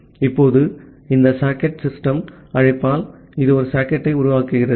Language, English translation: Tamil, Now, once the socket system call is done, you have created the socket